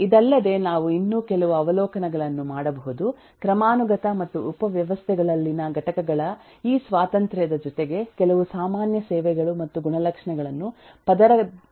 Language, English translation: Kannada, further, eh, we can make some more observations that eh, in addition to this hierarchy and this independence of eh components in subsystems, there are some common services and properties that are shared across layers